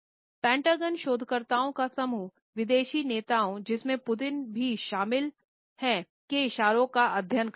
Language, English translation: Hindi, Today, the group of Pentagon researchers his job is to study the movements and gestures of foreign leaders including Putin